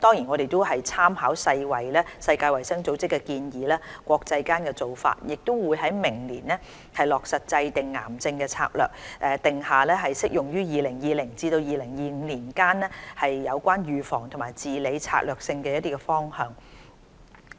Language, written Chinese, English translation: Cantonese, 我們也參考世界衞生組織的建議和國際間的做法，將於明年落實制訂癌症策略，以定下適用於2020年至2025年期間相關預防及治理的策略性方向。, Moreover we draw references from World Health Organizations recommendations and international practices with a view to mapping out in 2019 strategies related to cancer prevention and care services for the period between 2020 and 2025